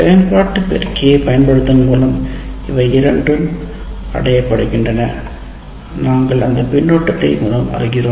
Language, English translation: Tamil, These two are achieved by using an operational amplifier and we are achieving that mainly using the feedback